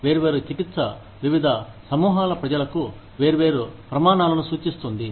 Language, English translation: Telugu, Disparate treatment indicates, different standards for, different groups of people